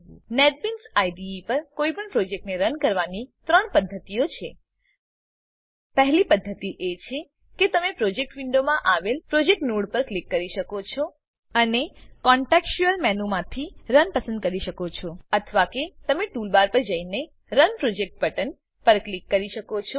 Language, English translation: Gujarati, To run any project on the Netbeans IDE there are 3 methods The first method is you can click on the project node in the Projects window, and choose Run from the contextual menu Or You can go to the toolbar and click on Run Project button Or you can also press the F6 key on your keyboard to run the projects